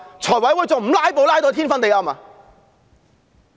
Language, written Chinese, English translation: Cantonese, 財務委員會還不"拉布"拉到天昏地暗嗎？, How will the Finance Committee not filibuster until the end of time?